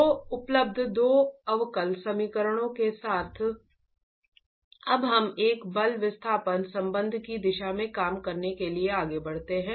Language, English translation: Hindi, So with the two differential equations available we can now proceed to work towards a forced displacement relationship